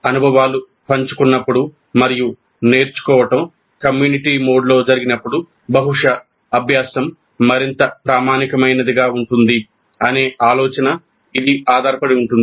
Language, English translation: Telugu, This is based on the idea that when the experiences are shared and when the learning happens in a community mode probably the learning will be more authentic